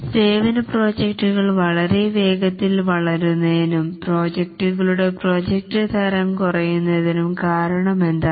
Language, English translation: Malayalam, What is the reason that the services projects are growing very fast and the product type of projects are becoming less